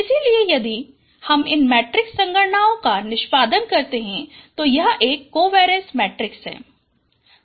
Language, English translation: Hindi, So if I perform these matrix computations, this is a covariance matrix you get